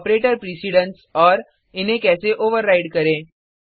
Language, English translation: Hindi, operator precedence, and, How to override it